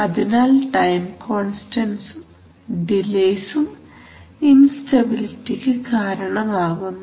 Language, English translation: Malayalam, So these time constants and delays also cause instabilities